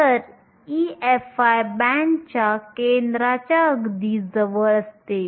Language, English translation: Marathi, So, e f i is very close to the center of the band